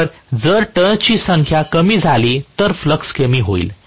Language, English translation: Marathi, So, if the number of turns are decreased, the flux will get decreased